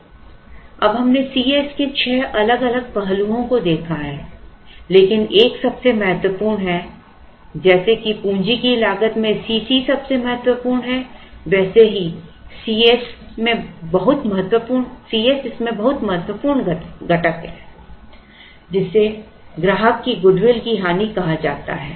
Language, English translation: Hindi, Now, we have seen six different aspects of C s, but there is one most important one just as cost of capital is the most important one in C c there is very important component of this which is called loss of customer good will